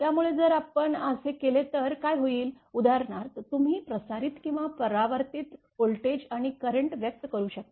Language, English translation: Marathi, So, if we do so, then what will happen, that you are for example the transmitted or refracted voltage and current can be expressed